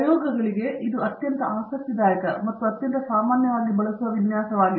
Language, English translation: Kannada, This is a very interesting and very commonly used design for experiments